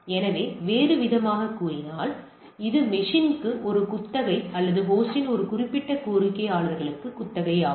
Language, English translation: Tamil, So, in other terms it is a lease to the system, lease to that particular requester of the host